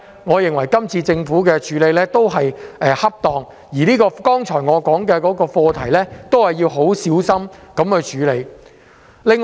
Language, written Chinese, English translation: Cantonese, 我認為政府這樣做是恰當的，而我剛才提到的課題亦要小心處理。, I consider it appropriate for the Government to do so and the issue which I have mentioned earlier should also be tackled cautiously